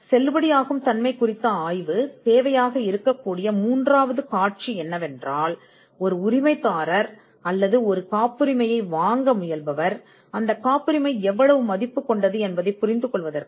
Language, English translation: Tamil, The third scenario where a validity study will be relevant is to ensure that licensee or a person who is trying to buy out patent can have an understanding on how much the patent is worth